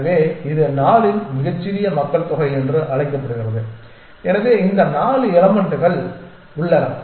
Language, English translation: Tamil, So, it is a very it is called very small population of size 4 so we have this 4 elements